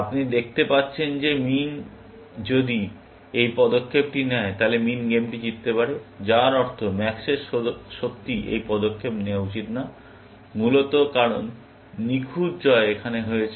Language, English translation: Bengali, You can see that if min makes this move, then min can win the game, which means, max should not really, make this move, essentially, because perfect win will have been here, essentially